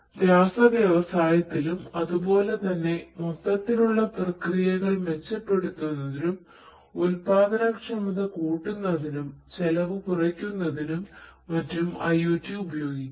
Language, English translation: Malayalam, In the chemical industry likewise IoT could be used for improving the overall processes, productivity reducing costs and so on and so forth